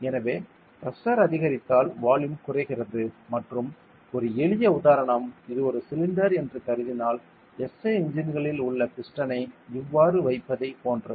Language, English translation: Tamil, So, if pressure increases volume decreases and one simple example is considered this is a cylinder then keeping a piston like in the SI engines and all ok